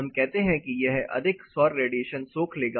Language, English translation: Hindi, We say it as a absorb lot of solar radiation